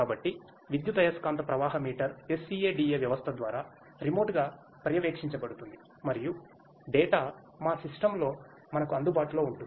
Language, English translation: Telugu, So, the electromagnetic flow meter is monitored remotely through the SCADA system and the data will be available to us in our system